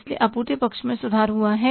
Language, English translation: Hindi, So, supply side has improved